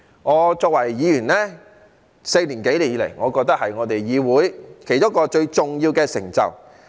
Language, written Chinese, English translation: Cantonese, 我作為議員4年多以來，我覺得這是我們議會其中一項最重要的成就。, Having served as a Member for more than four years I think this is one of the most important achievements of our legislature